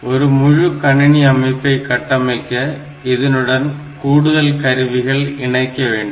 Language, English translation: Tamil, So, to make the complete computer system we should have the additional components in it